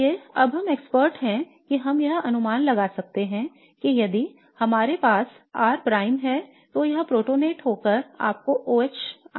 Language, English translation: Hindi, So by now we are now experts that we can predict that if we have let's say R prime it's going to get protonated and give you OH plus